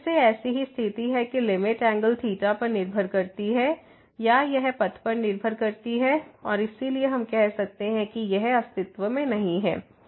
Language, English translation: Hindi, So, again the similar situation that the limit depends on the angle theta or it depends on the path, we can say and hence this does not exist